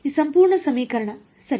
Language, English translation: Kannada, This whole equation ok